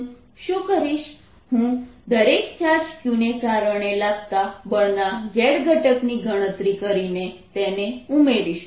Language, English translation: Gujarati, what ill do is i'll calculate the z component of each force due to each charge, capital q, and add them up